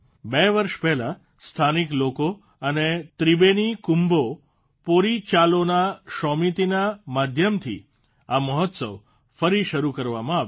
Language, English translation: Gujarati, Two years ago, the festival has been started again by the local people and through 'Tribeni Kumbho Porichalona Shomiti'